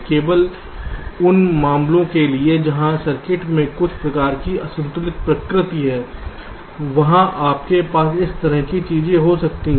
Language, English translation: Hindi, only for those cases where there is some kind of unbalanced nature in the circuit